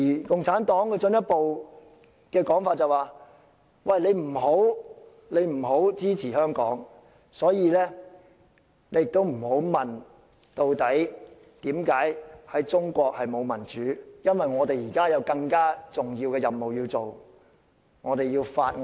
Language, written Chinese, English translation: Cantonese, 共產黨更進一步說不要支持香港，所以，大家不要問中國為甚麼沒有民主，因為他們有更重要的任務，要築造他們的中國夢。, CPC even says that no support should be given to Hong Kong . So people should no longer ask the question why is there no democracy in China? . It is because they have more important things to do they have to build the Chinese dream